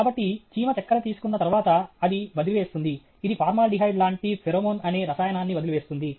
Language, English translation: Telugu, So, after the ant has taken the sugar, it will leave that… it will leave a chemical, what is called pheromone, which is like formaldehyde